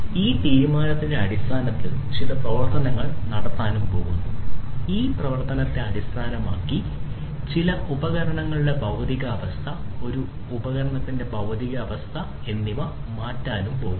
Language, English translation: Malayalam, Based on this decision certain action is going to be performed and based on this action, the physical state of certain device, physical state of a device is going to be changed, right